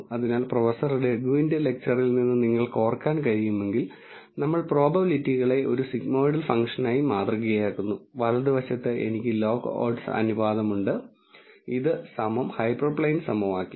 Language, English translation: Malayalam, So, if you could recall from Professor Raghu’s lecture, we model the probabilities as a sigmoidel function and on the right hand side I have the log odds ratio and this is equal to the hyperplane equation